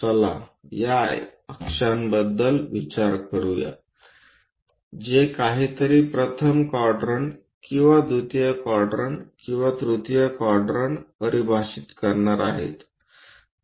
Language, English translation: Marathi, Let us consider these are the axis which are going to define whether something is in first quadrant or second quadrant or third quadrant